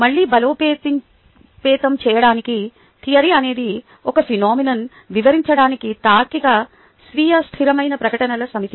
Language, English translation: Telugu, theory is a set of logical, self consistent statements to describe the phenomenon